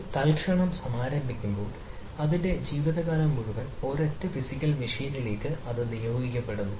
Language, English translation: Malayalam, so when an instant is launched it is assigned to a single physical machine for its lifetime